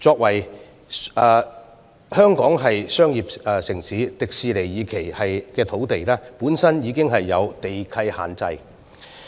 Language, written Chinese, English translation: Cantonese, 香港是商業城市，而香港迪士尼樂園第二期發展的用地本身已受地契限制。, Hong Kong is a commercial city and the site for the second phase development of the Hong Kong Disneyland is subject to land lease restrictions